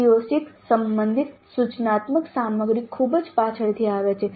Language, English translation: Gujarati, The instructional material related to CO6 comes in much later only